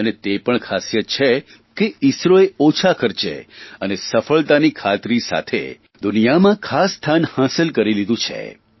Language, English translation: Gujarati, And it is also noteworthy that owing to its guarantee of success with lesser cost, ISRO has carved its special place in the world